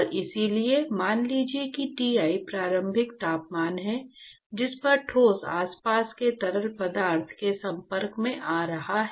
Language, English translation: Hindi, And so, supposing if Ti is the initial temperature at which the solid is being exposed to the fluid which is surrounding